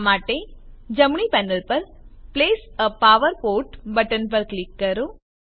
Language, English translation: Gujarati, For this, On the right panel, click on Place a power port button